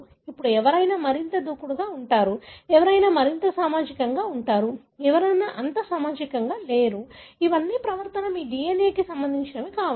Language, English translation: Telugu, Now, being, somebody is being more aggressive, somebody is being more social, somebody is being not that social, these are all behaviour may be something to do with your DNA